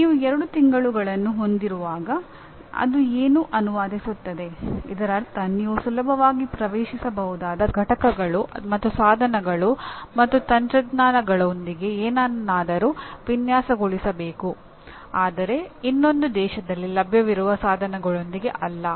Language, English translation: Kannada, What does it translate to when you have within two months, which means you have to design something with components and devices and technologies that are readily accessible, not necessarily something that is available in another country, it will take lot of time to access that